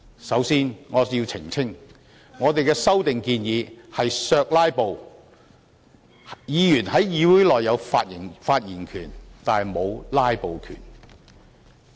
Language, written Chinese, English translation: Cantonese, 首先，我要澄清，我們的修訂建議是"削'拉布'"，議員在議會內有發言權但沒有"'拉布'權"。, First I must clarify that our proposed amendments seek to counter filibustering . In the Council Members have the right to speak but have no right to filibuster